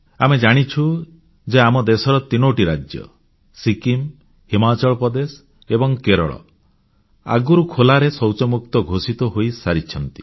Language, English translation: Odia, We know that in our country there are three states that have already been declared Open Defecation Free states, that is, Sikkim, Himachal Pradesh and Kerala